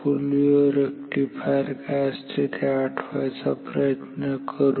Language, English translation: Marathi, So, let us recall what a full wave rectifier is